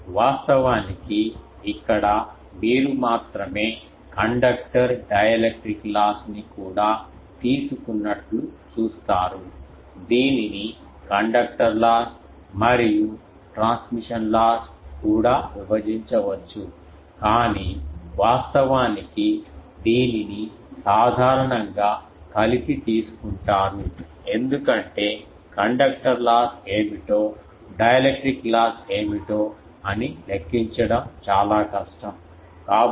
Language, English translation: Telugu, Actually here only you see the conductor dielectric loss together has been taken, it can be also broken into conductor loss and transmission loss, but actually it is generally taken together because it is very difficult to from measurement to find out what is conductor loss and what is dielectric loss